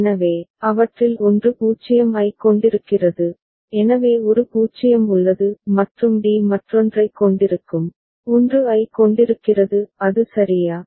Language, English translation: Tamil, So, one of them is having 0 so is a is having 0; and d will be having the other one, is having 1 is it ok